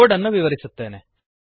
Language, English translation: Kannada, I shall now explain the code